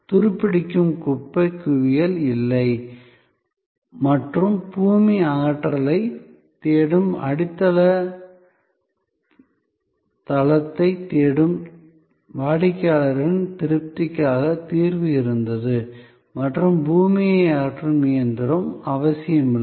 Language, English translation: Tamil, There was no more junk heap rusting away and solution was there to the satisfaction of the customer, who was looking for the foundation base, looking for earth removal and not necessarily the earth removing machine